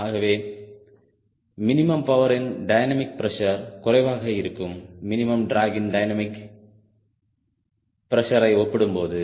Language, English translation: Tamil, so dynamic pressure for minimum power will be less than dynamic pressure that minimum drag